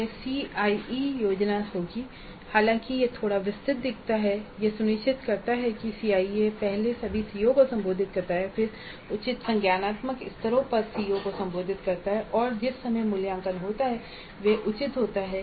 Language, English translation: Hindi, Though it looks a little bit detailed, this ensures that the CIE first addresses all CEOs then at the address COs at appropriate cognitive levels and the time at which the assessment happens is reasonable